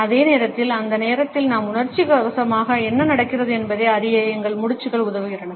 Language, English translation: Tamil, At the same time our nods help us to pass on what we are emotionally going through at that time